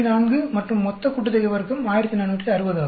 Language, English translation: Tamil, 4 and then total sum of square is 1460